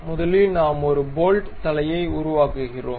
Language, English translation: Tamil, First we construct head of a bolt